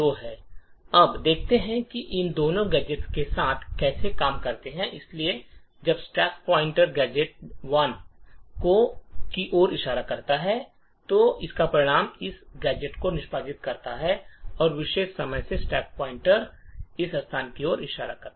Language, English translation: Hindi, Now let us see how these two gadgets work together, so when the stack pointer is pointing to gadget address 1 it would result in this gadget getting executed and at this particular time the stack pointer is pointing to this location